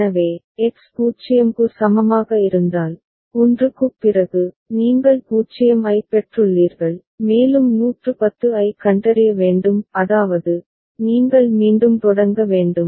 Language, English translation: Tamil, So, if X is equal to 0 so, after 1, you have received 0 and you have to detect 110 so; that means, you have to start all over again